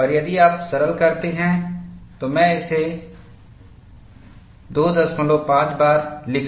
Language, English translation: Hindi, And if you simplify, I can simply write this as 2